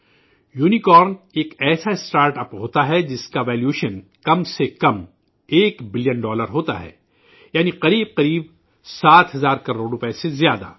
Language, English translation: Urdu, 'Unicorn' is a startup whose valuation is at least 1 Billion Dollars, that is more than about seven thousand crore rupees